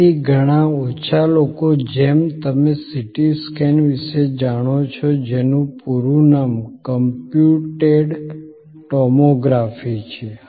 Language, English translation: Gujarati, So, like very of few you know about CT scan the full name being computed tomography